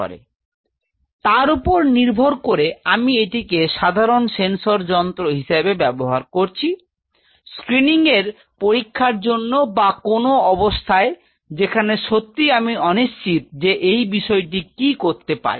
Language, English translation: Bengali, So, based on that I am using this as a simple sensor device for testing for a screening or as some condition where I am really I am not sure what this toxin is going to do I use this as a simple sensor